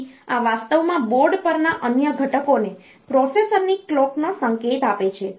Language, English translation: Gujarati, So, this is actually giving the clock signal of the processor to the other components on the board